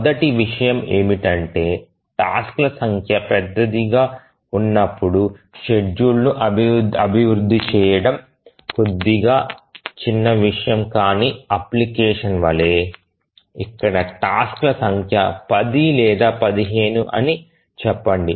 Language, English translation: Telugu, The first point is that how do we really develop the schedule when the number of tasks become large, like slightly non trivial application where the number of tasks are, let's say, 10 or 15